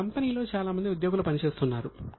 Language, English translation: Telugu, We have got a lot of employees working in our company